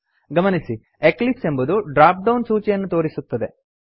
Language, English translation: Kannada, Notice that Eclipse displays a drop down list